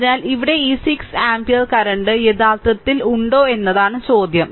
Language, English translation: Malayalam, So, question is that here this 6 ampere current actually